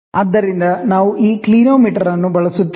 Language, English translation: Kannada, So, we use this clinometer